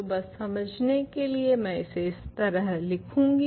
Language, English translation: Hindi, So, just for clarity I will write it like this